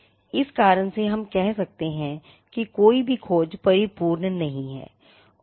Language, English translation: Hindi, For this reason, we say that no search is perfect